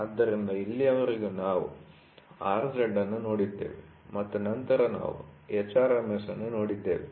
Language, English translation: Kannada, So, till now what we saw we saw R z and then we saw h RMS, two things we saw